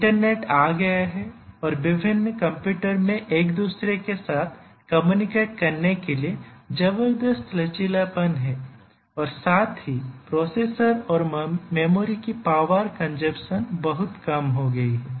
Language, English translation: Hindi, The internet has come in and there is tremendous flexibility for different computers to communicate to each other and also the power consumption of the processors and memory have drastically reduced